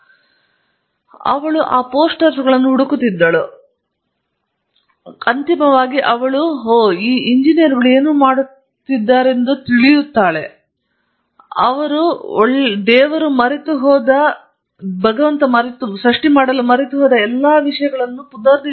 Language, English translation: Kannada, Then she kept looking around these posters, and finally, she said oh now I know what engineers do, they make all the things that the good God forgot to make